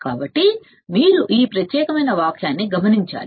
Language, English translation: Telugu, So, you have to note this particular sentence